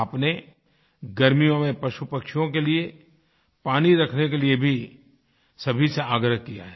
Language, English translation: Hindi, You have urged one and all to retain and keep aside some water for birds & animals, during summer time